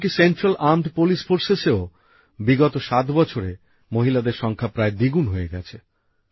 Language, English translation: Bengali, Even in the Central Armed Police Forces, the number of women has almost doubled in the last seven years